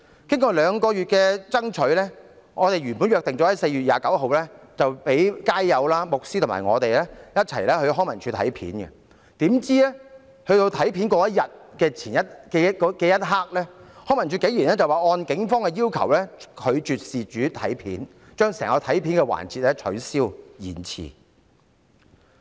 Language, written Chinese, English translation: Cantonese, 經過兩個月的爭取，我們原本約定在4月29日讓街友、牧師和我一同在康文署翻看片段，豈料在約定當天，康文署竟然臨時說按警方要求，拒絕讓事主翻看錄影片段，將整項安排取消或延遲。, After lobbying for two months we had originally made an appointment for the street sleepers the priest and me to watch the footage together in LCSD on 29 April . To our surprise on the day of the appointment LCSD suddenly said that at the request of the Police it would not let the people concerned watch the footage and cancelled or postponed the entire appointment